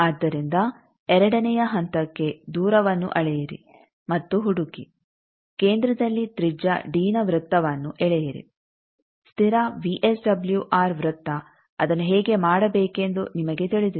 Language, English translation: Kannada, So, to the step two measure and find the distance, draw a circle of radius d which centers you know how to do the constant VSWR circle